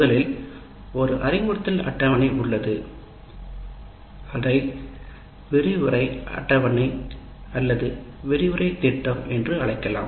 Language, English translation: Tamil, First thing is there is an instruction schedule and which can be called as lecture schedule or lecture plan, whatever you have